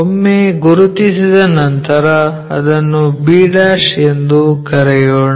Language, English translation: Kannada, So, once we mark let us call that as b'